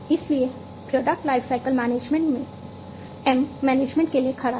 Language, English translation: Hindi, So, product lifecycle management, M stands for management